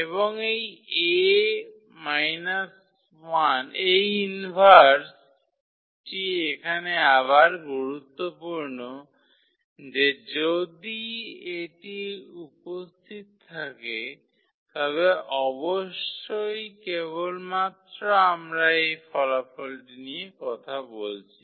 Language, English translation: Bengali, And this A inverse again important here that if it exists of course, then only we are talking about this result